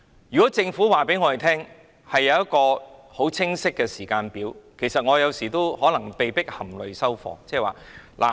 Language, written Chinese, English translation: Cantonese, 如果政府告訴我們一個清晰的時間，我們也有時會被迫含淚收貨。, If the Government can tell us a clear timetable we will sometimes reluctantly accept it